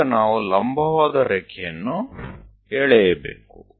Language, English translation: Kannada, We have to draw a perpendicular line